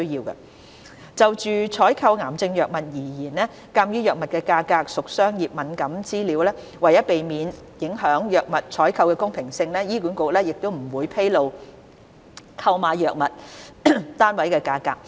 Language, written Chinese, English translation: Cantonese, 一就採購癌症藥物而言，鑒於藥物價格屬商業敏感資料，為避免影響藥物採購的公平性，醫管局不會披露購買藥物的單位價格。, 1 Regarding the procurement of cancer drugs given the commercial sensitivity of drug price information and in order not to prejudice fair competition in the procurement process HA will not disclose the unit prices of the drugs procured